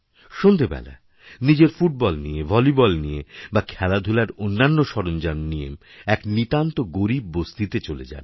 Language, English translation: Bengali, In the evening, take your football or your volleyball or any other sports item and go to a colony of poor and lesser privileged people